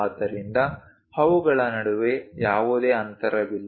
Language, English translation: Kannada, So, there is no gap in between them